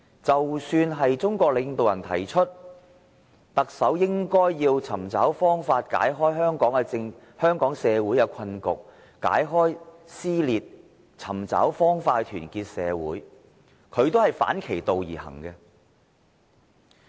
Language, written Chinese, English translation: Cantonese, 即使中國領導人提出，特首應尋找方法解開香港社會的困局和撕裂，尋找方法去團結社會，但他仍是反其道而行。, Even though leaders of China have mentioned that the Chief Executive should identify ways to resolve the deadlock and dissension in society of Hong Kong and unite society he has acted in the opposite